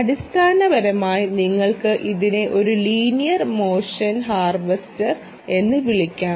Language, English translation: Malayalam, what you will have to do is: so this is a linear motion harvester